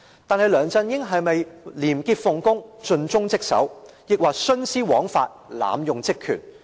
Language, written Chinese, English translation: Cantonese, 但是，梁振英是否廉潔奉公，盡忠職守？抑或是徇私枉法，濫用職權？, However is LEUNG Chun - ying a person of integrity and dedicated to his duty or has he perverted the course of justice and abused his power?